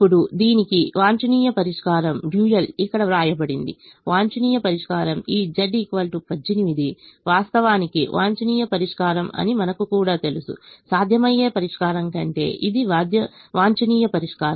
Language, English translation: Telugu, the optimum solution is: we also know that this z equal to eighteen is actually the optimum solution, more than the feasible solution